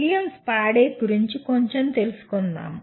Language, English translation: Telugu, A little bit about William Spady